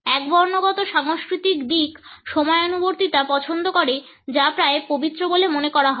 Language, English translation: Bengali, Monochronic orientations prefers punctuality which is considered to be almost sacred